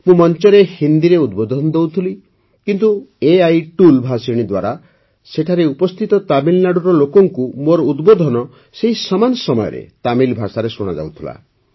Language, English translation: Odia, I was addressing from the stage in Hindi but through the AI tool Bhashini, the people of Tamil Nadu present there were listening to my address in Tamil language simultaneously